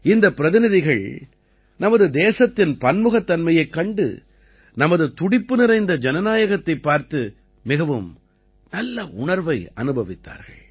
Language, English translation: Tamil, These delegates were very impressed, seeing the diversity of our country and our vibrant democracy